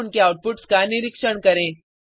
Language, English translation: Hindi, And observe their outputs